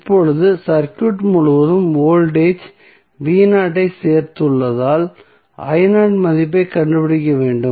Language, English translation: Tamil, Now, next is that we have to find out the value I naught because we have added voltage v naught across the circuit